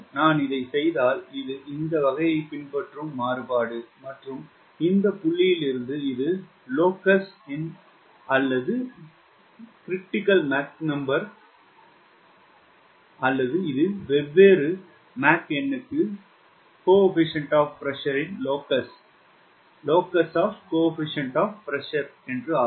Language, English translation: Tamil, and if i do this, this will follow this sort of variation and this is the point, because this is the locus of m critical or this is the locus of c p critical for different mach number